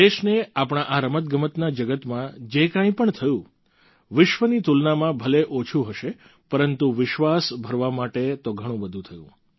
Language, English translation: Gujarati, Whatever our country earned in this world of Sports may be little in comparison with the world, but enough has happened to bolster our belief